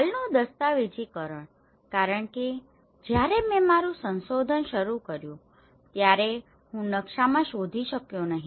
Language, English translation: Gujarati, Documentation of existing, because when I started my research I couldnÃt find in the map